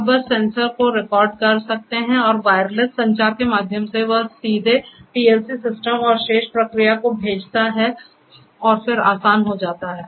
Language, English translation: Hindi, You can just the sensor records it and through wireless communication, it directly sends to the PLC system and the rest of the process then becomes easier